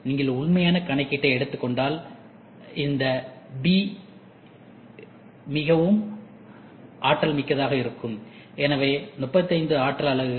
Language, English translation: Tamil, If you work on the true calculation, this b will be very energy efficient, so 35 units